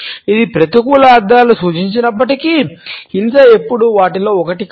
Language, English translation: Telugu, Even though it may suggest negative connotations, but violence is never one of them